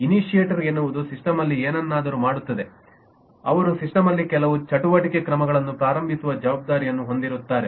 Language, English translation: Kannada, initiator is would does something in the system, who is responsible for starting some activity, action in the system